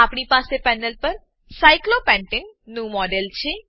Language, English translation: Gujarati, We have a model of cyclopentane on the panel